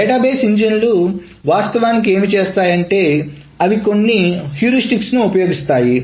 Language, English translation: Telugu, So what the database engines actually do is that they employ certain heuristics